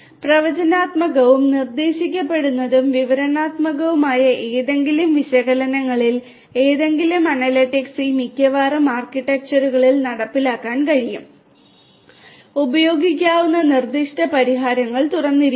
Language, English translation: Malayalam, But any of these analytics like the predictive, prescriptive, descriptive any kind of analytics could be implemented in most of these architectures and the specific solutions that could be used are left open